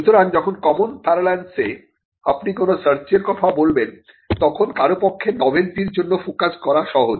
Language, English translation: Bengali, So, in common parlance when you talk about a search, it is easy for somebody to focus on a search for novelty